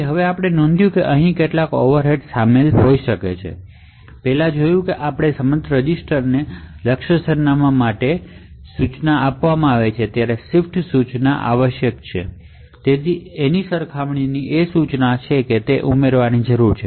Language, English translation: Gujarati, So now we note that there could be certain overheads involved over here so we first see that there is a move instruction for the target address to the dedicated register there is a shift instruction required and there is a compare instruction that is required to be added or to be inserted into the object code